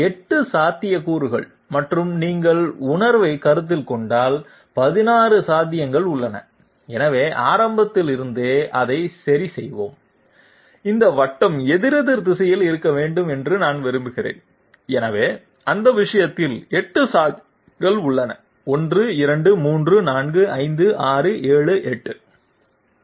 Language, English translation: Tamil, Oh my God, 8 possibilities and if you consider the sense, there are 16 possibilities so let us fix it up from the beginning itself, I want this circle to be counterclockwise so in that case only 8 possibilities are there 1 2 4 5 6 7 8